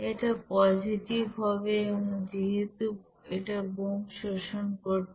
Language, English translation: Bengali, It should be positive since it is you know absorbed by the bomb